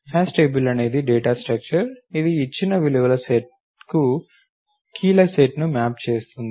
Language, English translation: Telugu, A hash table is a data structure that maps a set of keys to a given set of values